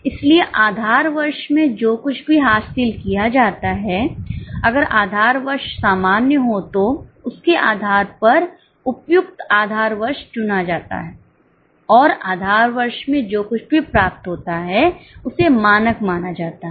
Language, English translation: Hindi, So, whatever is achieved in the base here, if the base here is normal, a suitable base here is chosen and whatever is achieved in the base here is considered as a standard